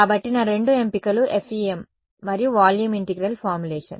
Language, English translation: Telugu, So, my two options are FEM and volume integral formulation ok